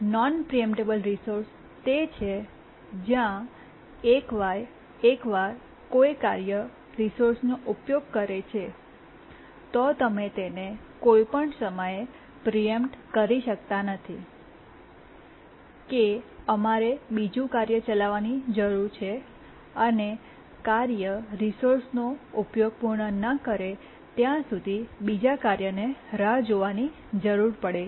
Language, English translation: Gujarati, A non preemptible resource is one where once a task is using the resource, we cannot preempt it any time that we need to another task to run, need to wait until the task completes use of the resource